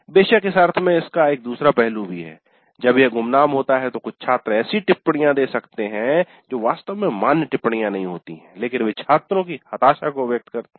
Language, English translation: Hindi, Of course there is a flip side to this also in the sense that when it is anonymous some of the students may give comments which are not really valid comments but they express the frustration of the students